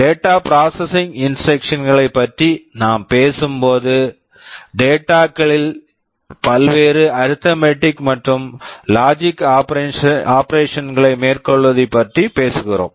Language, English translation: Tamil, When I am talking about the data processing instructions we are talking about carrying out various arithmetic and logic operations on data